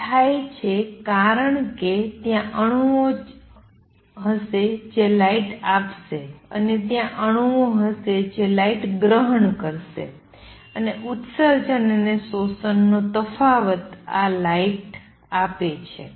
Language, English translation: Gujarati, And why does that happen that happens because there are atoms that will be giving out light, and there are atoms that will be absorbing light, and the difference of the emission and absorption gives this light